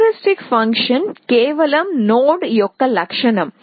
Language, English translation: Telugu, A heuristic function is just a property of the node